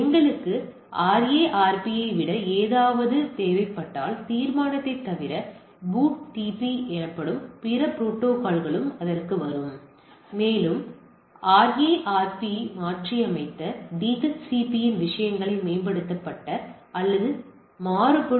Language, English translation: Tamil, If we need something more the RARP, other than only resolution there are other protocol call BOOTP will come to that, and also a the upgraded or variant of the things which is DHCP which have replace RARP